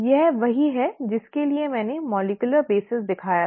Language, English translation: Hindi, This is what I had shown the molecular basis for